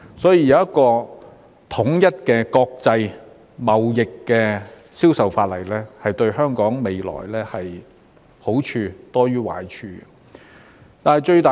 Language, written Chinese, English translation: Cantonese, 所以，有一項統一的國際貿易銷售法例，對於香港未來便是好處多於壞處的。, Therefore having a unified law on international trade sales will do more good than harm to Hong Kongs future